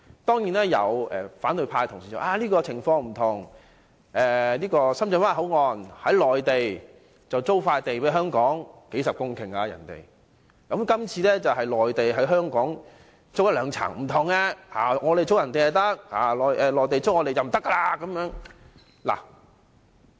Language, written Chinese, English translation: Cantonese, 當然，有反對派同事指出，當前的情況並不相同，深圳灣口岸是由內地出租一幅數十公頃的土地給香港，而今次則是內地向香港租用兩層地方，是有分別的。, Certainly some Honourable colleagues in the opposition camp have pointed out that the current case is different . Regarding the Shenzhen Bay Port the Mainland has leased several dozen hectares of land to Hong Kong whereas this time the Mainland will rent two floors from Hong Kong . It is different